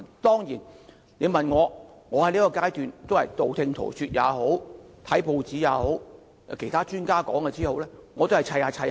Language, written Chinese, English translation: Cantonese, 當然，我在此階段得到的資料也是道聽塗說，我把報章報道及其他專家的意見拼湊一起。, Certainly the information I have obtained at this stage is hearsay only and I have only collated some press reports and the views of some experts